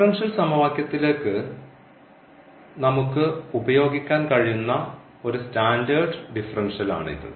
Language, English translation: Malayalam, So, this is one of the standard differential which we can use a in guessing the differential equation